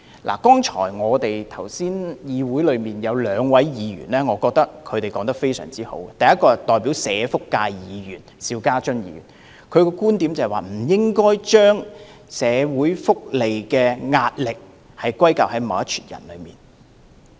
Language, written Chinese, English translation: Cantonese, 我覺得剛才有兩位議員的發言十分中肯，第一位是代表社福界的邵家臻議員，他的觀點是不應該把社會福利的壓力歸咎於某些人。, I think the earlier speeches of two Members were very objective . The first one is Mr SHIU Ka - chun a representative of the social welfare sector . His viewpoint is that we should not ascribe the pressure on our social welfare to certain people